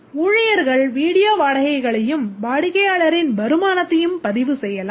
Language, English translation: Tamil, The staff can record video rentals and also returns by customer